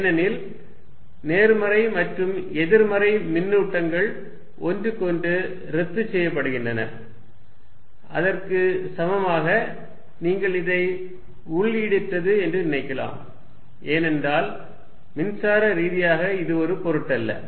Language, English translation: Tamil, Because, positive and negative charges cancel, equivalently you can also think of this as being hollow, because electrically it does not matter